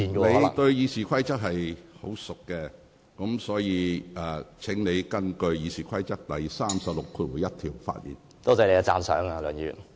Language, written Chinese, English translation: Cantonese, 你對《議事規則》很熟悉，所以請你根據《議事規則》第361條的規定發言。, You should be very familiar with the Rules of Procedure so please deliver your speech in accordance with Rule 361 of the Rules of Procedure